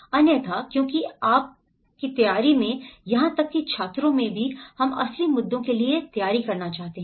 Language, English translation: Hindi, Otherwise, because you are preparing, even in the students we are preparing for the real issues